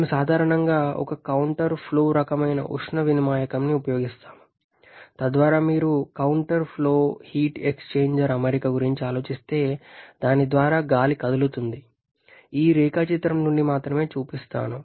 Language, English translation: Telugu, We generally go for a counter flow kind of heat exchanger, so that the air as it moves through like if you think about a counter flow heat exchanger arrangement: let me show from this diagram only